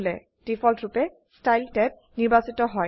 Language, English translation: Assamese, By default, Style tab is selected